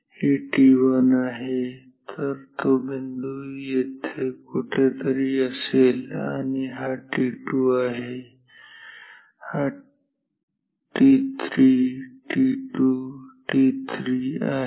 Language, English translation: Marathi, This is t 1 so, that point will be here somewhere and this is t 2, this is t 3, t 2, t 3